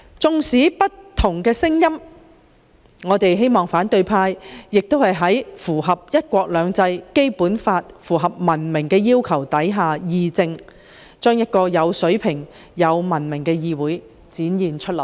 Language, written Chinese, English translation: Cantonese, 縱使有不同聲音，也希望反對派能在符合"一國兩制"、《基本法》及文明要求的情況下議政，讓有水平及文明的議會文化得以展現出來。, Even though there are differences of opinions I hope the opposition camp will engage in public policy discussion in compliance with the principle of one country two systems the Basic Law and civilized rules thereby displaying a quality and civilized parliamentary culture